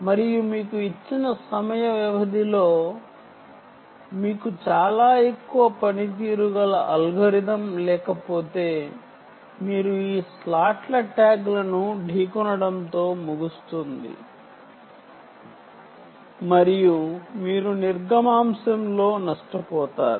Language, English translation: Telugu, so, ah, unless you have a very high performance ah, ah algorithm, you will end up with these slots, tags colliding ah due to this, and then you will have a loss in throughput